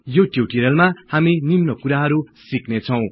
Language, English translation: Nepali, In this tutorial we learn the following